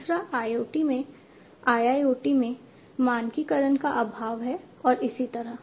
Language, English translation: Hindi, The third one is lack of standardization in IoT, in IIoT, and so on